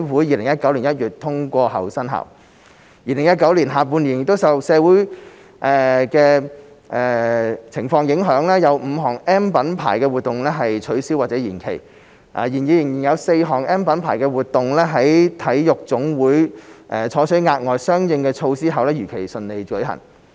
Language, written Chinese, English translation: Cantonese, 2019年下半年受社會情況影響，有5項 "M" 品牌活動取消或延期；然而，仍有4項 "M" 品牌活動在體育總會採取額外相應措施後如期順利舉行。, Although five M Mark events were cancelled or postponed owing to the social incidents in the latter half of 2019 four M Mark events have successfully been held as scheduled with the additional measures taken by NSAs